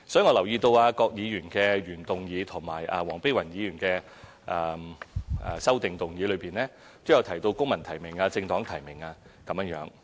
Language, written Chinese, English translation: Cantonese, 我留意到郭議員的原議案及黃碧雲議員的修正案，都有提到"公民提名"或"政黨提名"。, I do notice the term civil nomination or nomination by political parties come up in Dr KWOKs original motion and Dr Helena WONGs amendment